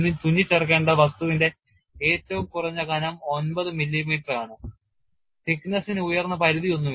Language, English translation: Malayalam, The requirement is the minimum thickness of the material to be stitched is nine millimeters and no upper limit for thickness